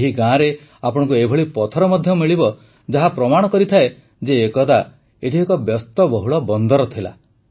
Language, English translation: Odia, You will find such stones too in thisvillage which tell us that there must have been a busy harbour here in the past